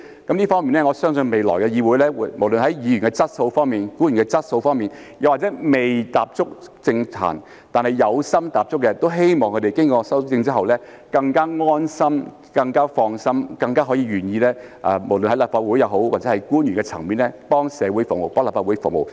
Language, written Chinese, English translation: Cantonese, 就這方面，我相信未來的議會，無論是議員的質素方面、官員的質素方面，又或是未踏足政壇但有心踏足的，都希望經過修正之後，他們會更加安心、更加放心、更加願意無論是在立法會或官員的層面，為社會服務、為立法會服務。, In this regard I believe that when it comes to the legislature in the future no matter we are talking about the quality of Members the quality of officials or those who have not yet entered the political arena but aspire to do so it is hoped that they will feel more at ease and relieved after these amendments have been made . They will hence be more willing to serve the community and the Legislative Council be it at the level of the Legislative Council or in the role of officials